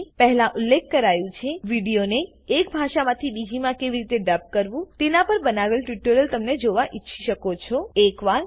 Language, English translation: Gujarati, As mentioned earlier, you may want to watch the tutorial on How to Dub a video from one language into another